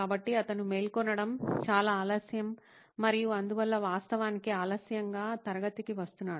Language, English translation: Telugu, So it’s very late that he wakes up and hence actually comes to class late